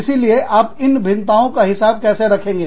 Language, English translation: Hindi, So, how do you, account for these variations